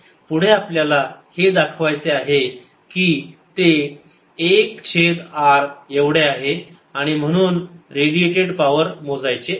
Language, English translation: Marathi, next, you want to show that it is one over r and therefore calculate the power radiant